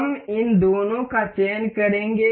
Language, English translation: Hindi, We will select all of these